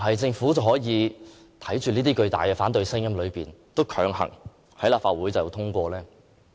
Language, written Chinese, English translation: Cantonese, 政府能否在如此巨大的反對聲音中，仍要強行在立法會通過有關議案？, Can the Government still force through its proposal and have its motion passed in the Legislative Council when there is such a strong opposition voice in society?